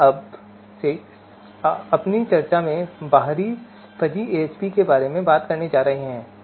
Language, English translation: Hindi, So in our discussion now onwards we are going to talk about External Fuzzy AHP